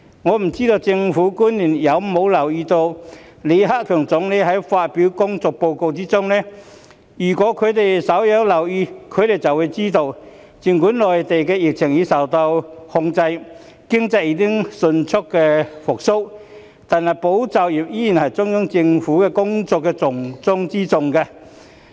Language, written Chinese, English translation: Cantonese, 我不知道政府官員有否留意到李克強總理發表的工作報告，如果他們稍有留意便會知道，儘管內地疫情已受控，經濟已經迅速復蘇，但"保就業"依然是中央政府工作的重中之重。, I wonder if government officials have paid attention to the work report delivered by Premier LI Keqiang . If they care to do so they would know that although the epidemic on the Mainland has been brought under control and the economy has recovered rapidly it is still the top priority of the Central Government to safeguard jobs